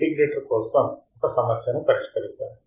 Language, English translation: Telugu, Let us solve a problem for the integrator